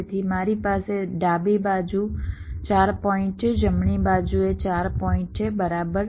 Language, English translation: Gujarati, so i have four points on the left, four points on the right